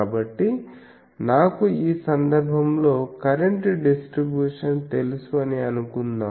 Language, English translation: Telugu, So, if I know suppose in this case a current distribution